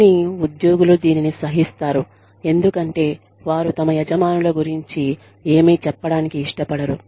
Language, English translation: Telugu, But, employees tolerate it, because, they do not want to say anything, about their bosses